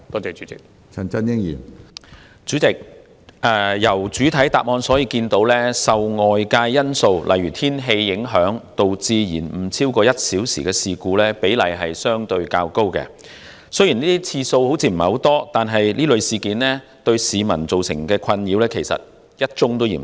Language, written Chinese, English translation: Cantonese, 主席，從主體答覆可見，受外界因素影響而導致延誤超過1小時的事故比例相對較高，雖然這類事件發生次數似乎不多，但考慮到對市民造成的困擾，其實1宗也嫌多。, President from the main reply we learn that the proportion of cases of suspension of train service for over one hour due to external factors is relatively high . Although the number of such incidents seems to be small considering the nuisance caused to the public one incident is actually too many